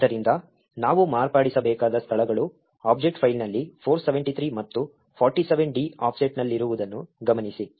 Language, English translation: Kannada, So, notice that the locations which we need to modify is at an offset 473 and 47d in the object file